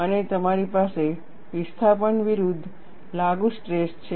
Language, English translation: Gujarati, And you have the displacement versus applied stress